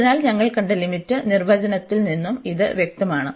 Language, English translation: Malayalam, So, this is also clear from the limit definition, which we have seen